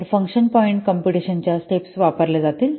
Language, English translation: Marathi, So this is how the function point computation steps they follow